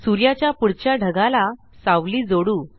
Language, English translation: Marathi, Now let us add a shadow to the cloud next to the Sun